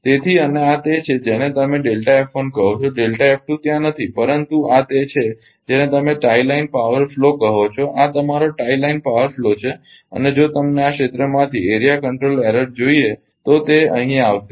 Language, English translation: Gujarati, So, and this is your what you call that delta f 1 delta f delta f 2 is not there, but this this is your this is your what you call the tie line power flow; this is your tie line power flow and if you want area control error from this area it will come here right; I am not showing this